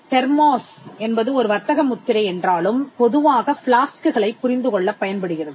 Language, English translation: Tamil, Thermos though it is a trademark is commonly used to understand flasks